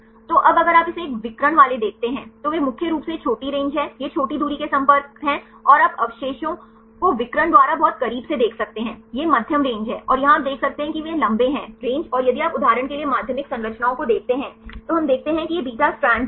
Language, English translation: Hindi, So, now if you see this one, diagonal ones, they are mainly these are the short range these are the short range contacts and you can see the residues very close by the diagonal, these are medium range and here you can see they are long range and if you see the secondary structures for example, we see these are the beta strands right we can see the beta strands here because there are many long range contacts and several because these are all mainly alpha helices